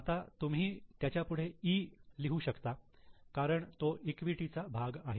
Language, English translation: Marathi, Right now you can mark it as E because it's a part of equity